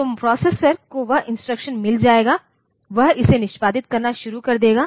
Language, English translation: Hindi, So, the processor will get that instruction, it will start executing it